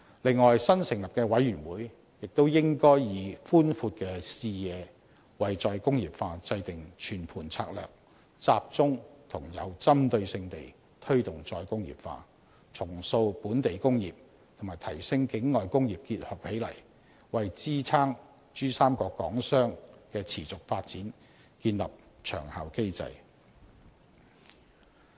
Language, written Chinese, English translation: Cantonese, 此外，新成立的委員會亦應以寬闊的視野為再工業化制訂全盤策略，集中和有針對性地推動再工業化，重塑本地工業與提升境內工業結合起來，為支撐珠三角港商的持續發展建立長效機制。, Moreover the newly formed committee should formulate a comprehensive strategy for re - industrialization from a broader perspective by concentrating on a more targeted re - industrialization initiative in order to reshape the local industries and to upgrade industries in the region for the establishment of a long - term mechanism which can support the sustainable development of Hong Kong manufacturers within the Pearl River Delta